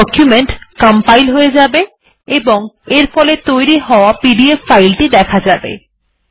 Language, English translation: Bengali, It will compile and the resulting pdf file is displayed